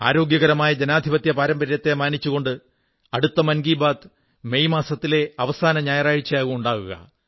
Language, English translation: Malayalam, In maintainingrespect for healthy democratic traditions, the next episode of 'Mann KiBaat' will be broadcast on the last Sunday of the month of May